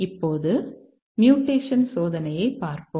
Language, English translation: Tamil, Now let's look at mutation testing